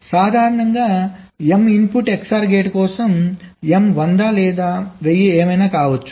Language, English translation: Telugu, so in general, for m input xor gate, m can be hundred thousand, whatever